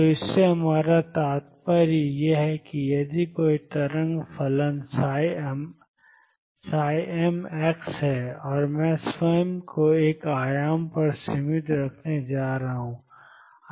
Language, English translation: Hindi, So, what we mean by that is, if there is a wave function psi m x and I am going to restrict myself to one dimension